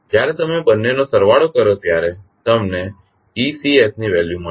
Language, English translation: Gujarati, When you sum up both of them you will get the value of ecs